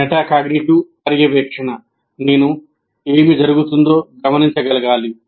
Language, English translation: Telugu, Now coming to metacognitive monitoring, I should be able to observe what is happening